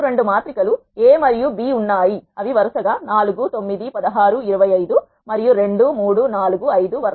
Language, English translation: Telugu, Let us say you have two matrices A and B which are 4 9 16 25, and 2 3 4 5 respectively